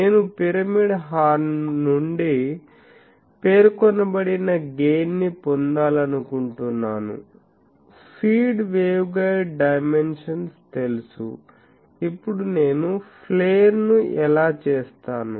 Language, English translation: Telugu, That I want so, much gain from the pyramidal horn; the feed waveguide dimension is known, now how I do the flare